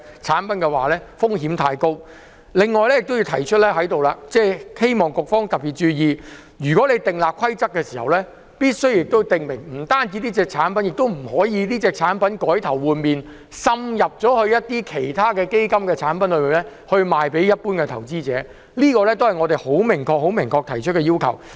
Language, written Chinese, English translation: Cantonese, 此外，我還想在這裏提出一點，希望局方特別注意，訂立規則時，除了訂明這產品不可以銷售給甚麼人士外，亦必須訂明不可以將這產品改頭換面，滲入其他基金產品售予一般投資者，這是我們明確提出的要求。, Furthermore I wish to point out one more thing for the particular attention of the Bureau concerned . That is apart from stating the prohibition of sale of these products to a certain category of investors when drafting the rules they should also stipulate the prohibition of the repackaging of these products as other fund products and their sale to retail investors . This is our unequivocal request